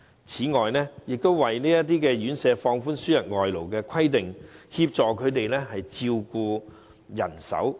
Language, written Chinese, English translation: Cantonese, 此外，當局為這些院舍放寬輸入外勞的規定，協助他們增加照顧人手。, Moreover the authorities have relaxed the criteria for employing imported workers for these residential homes so that they can increase their manpower in providing care services